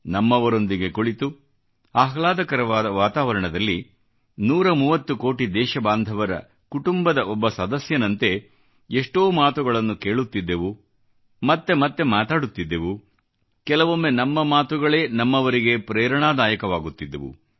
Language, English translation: Kannada, It used to be a chat in a genial atmosphere amidst the warmth of one's own family of 130 crore countrymen; we would listen, we would reiterate; at times our expressions would turn into an inspiration for someone close to us